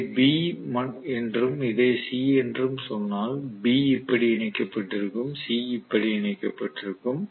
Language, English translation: Tamil, So I will connect basically from if I may call this as B and this as C, so B will be connected like this, C will be connected like this